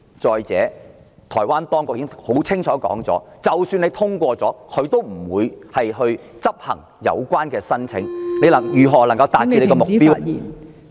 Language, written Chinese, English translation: Cantonese, 再者，台灣當局已清楚表示，即使通過也不會處理有關的申請......政府又如何能夠達到目標呢？, Moreover the authorities in Taiwan have made it clear that even if it is passed the relevant application will not be processed so how can the Government attain its goal?